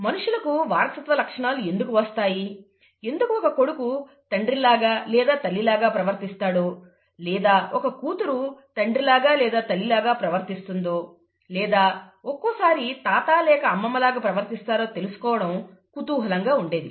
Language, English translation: Telugu, People were always curious to know why people inherit characters, why a son behaves like the father or the mother, or the daughter behaves like the father or the mother and so on, or sometimes even like the grandfather or grandmother